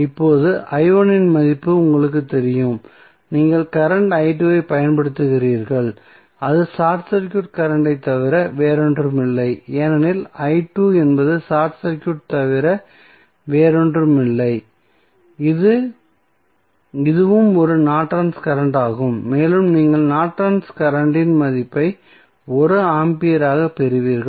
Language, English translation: Tamil, Now, you know the value of i 1 you simply put the value of i 1 here and you will get the current i 2 that is nothing but the short circuit current because i 2 is nothing but the short circuit here this is also a Norton's current and you get the value of Norton's current as 1 ampere